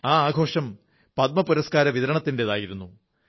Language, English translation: Malayalam, And the ceremony was the Padma Awards distribution